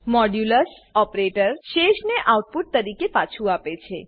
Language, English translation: Gujarati, The modulus operator returns the remainder as output